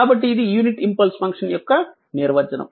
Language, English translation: Telugu, So, it is unit impulse function